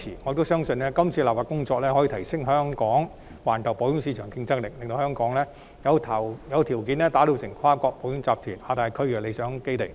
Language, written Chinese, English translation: Cantonese, 可是，我相信這次修例，將有助提升香港在環球保險市場的競爭力，令香港具備條件成為跨國保險集團在亞太區的理想基地。, Yet I still believe that this legislative amendment exercise will help enhance Hong Kongs competitiveness in the global insurance market in that Hong Kong will be well placed as a preferred base for multi - national insurance groups in Asia Pacific . Thank you Deputy President . namely the Insurance Amendment No